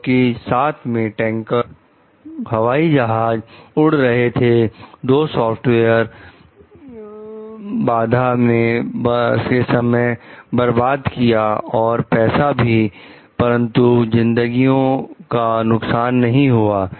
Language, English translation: Hindi, Because of the accompanying tanker planes the software bug wasted time and money, but they did not cost lives